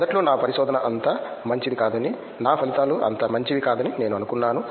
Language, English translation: Telugu, Initially I thought that my research is not that much good, my results are not that much good